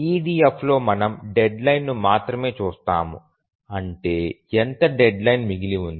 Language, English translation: Telugu, In EDF we look at only the deadline, how much deadline is remaining